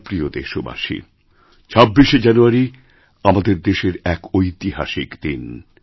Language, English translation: Bengali, My dear countrymen, 26th January is a historic festival for all of us